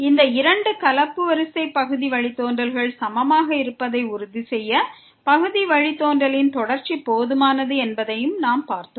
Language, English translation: Tamil, And what we have also seen that the continuity of the partial derivative is sufficient to ensure that these two mixed order partial derivatives are equal